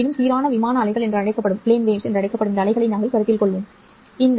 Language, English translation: Tamil, However, we will consider those waves which are called as uniform plane waves